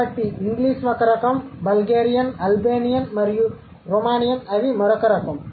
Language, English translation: Telugu, So, so English is one type, Bulgarian, Albanian and Romanian, they would be the other type